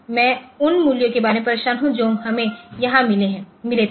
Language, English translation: Hindi, So, I am bothered about the values that we got here